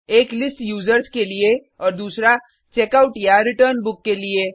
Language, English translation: Hindi, One for List Users and the other for Checkout/Return Book